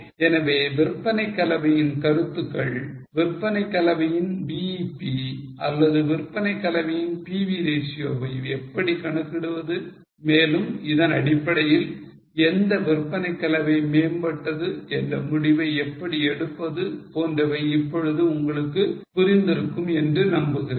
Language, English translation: Tamil, Okay, so I hope you have understood now the concept of sales mix and how you calculate BEP of the sales mix or pv ratio of sales mix and based on that how to take decision on which sales mix is superior